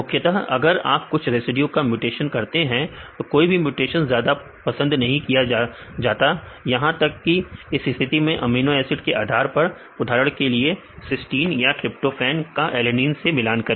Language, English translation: Hindi, Mainly if you mutate same residues then no mutations that is highly preferred ones even in that case a depending upon the amino acids for example, compared with tryptophan or the cysteine with the alanine